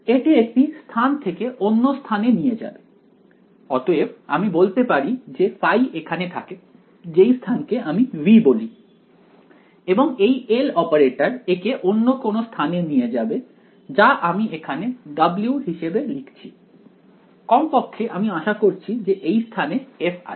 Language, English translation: Bengali, Is going to take one space to another space alright; so I can say that say phi lives over here and the operator takes it let us say call this some space V and the operator over here this L takes it to another space over here f W, at least we hope that f is in this space right